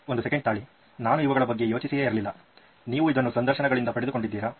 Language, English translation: Kannada, wait a second I didn’t think of these and you got that out of the interviews